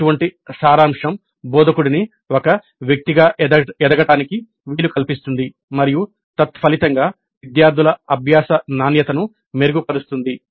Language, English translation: Telugu, Such summarization enables the instructor to grow as a person and consequently leads to improvement in the quality of student learning